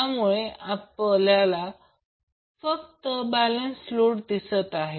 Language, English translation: Marathi, So we are showing only the unbalanced load in the figure